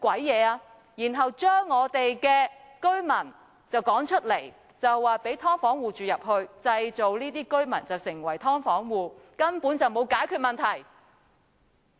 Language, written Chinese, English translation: Cantonese, 然後，把我們的居民趕出，讓"劏房戶"入住，而那些被趕出的居民則被迫成為"劏房戶"，所以根本就沒有解決問題。, What is the purpose of building a commercial city for the tycoons while those residents being driven out are turned into households of subdivided units